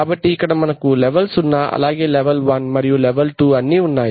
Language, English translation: Telugu, So here we have these two we have level zero, here we have level one, and here we have level two